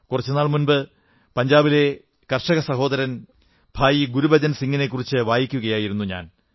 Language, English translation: Malayalam, A few days ago, I was reading about a farmer brother Gurbachan Singh from Punjab